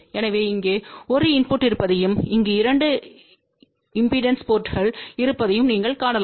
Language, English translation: Tamil, So, you can see that there is a 1 input here and there are 2 output ports over here